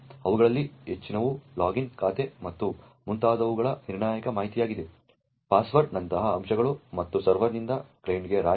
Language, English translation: Kannada, Many of them are critical information such as the login account and so on, aspects such as the password and so on heap from the server to the client